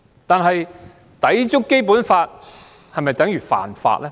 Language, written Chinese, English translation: Cantonese, 但是，抵觸《基本法》是否等於犯法呢？, Nevertheless is violating the Basic Law tantamount to violating the law?